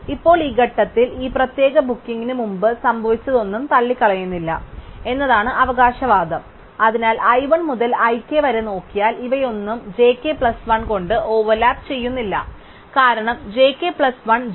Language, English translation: Malayalam, Now, the claim is that this particular booking at this point is not ruled out by anything that is happened before, so if we look at i 1 up to i k, none of these overlap with j k plus 1, because j k plus 1 is after j k